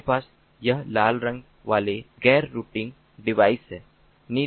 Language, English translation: Hindi, we have ah this non routing devices